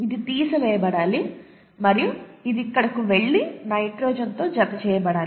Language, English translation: Telugu, This one needs to be removed and this one needs to go and attach to nitrogen here